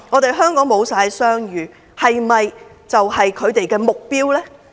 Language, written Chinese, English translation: Cantonese, 令香港商譽全失，是否就是他們的目標？, Is it their goal to wreck Hong Kongs business reputation?